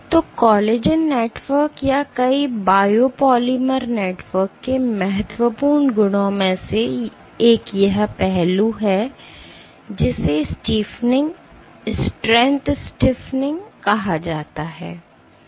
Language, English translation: Hindi, So, one of the important properties of collagen networks or many biopolymer networks is this aspect called stiffening, strength stiffening